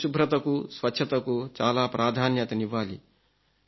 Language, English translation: Telugu, And cleanliness should be given great importance